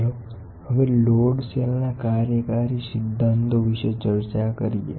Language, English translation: Gujarati, Let us now discuss about working principles of load cell